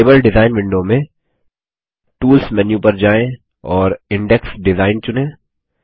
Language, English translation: Hindi, In the table design window, let us go to the Tools menu and choose Index Design